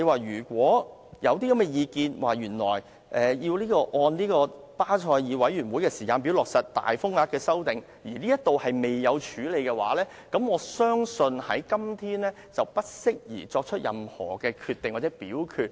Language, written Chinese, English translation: Cantonese, 如果有意見認為，要按巴塞爾委員會的時間表落實大額風險承擔框架的修訂，而這方面未作處理的話，我相信今天不適宜作出任何決定或表決。, If there is a view that it is necessary to align the amendment to the large exposures framework with the timetable of BCBS and such a view has yet to be addressed I do not think it is appropriate to make any decision or take any vote today